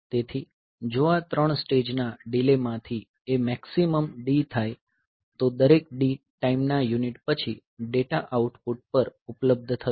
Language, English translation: Gujarati, So, if D happens to be the maximum of these 3 stage delays then after every D time unit the data will be available at the output